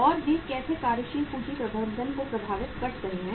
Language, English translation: Hindi, And how they are impacting the working capital management